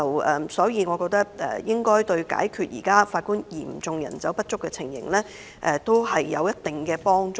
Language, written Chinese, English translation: Cantonese, 我認為這對解決現時法官人手嚴重不足應有一定幫助。, I think this will alleviate the serious shortage of Judges presently in some measure